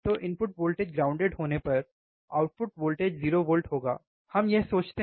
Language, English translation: Hindi, So, output voltage would be 0 volt when inputs are grounded, right is what we think